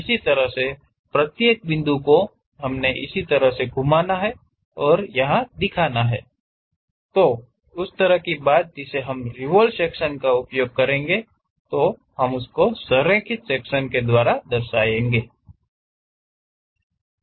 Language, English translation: Hindi, Similarly, each and every point we have to rotate and represent it; that kind of thing what we call aligned section using conventions of revolution